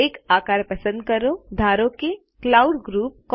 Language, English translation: Gujarati, Select a shape say a cloud group